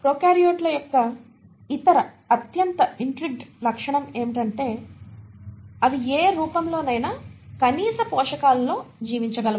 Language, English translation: Telugu, And the other most intriguing feature of prokaryotes are they can survive in any form of minimal nutrients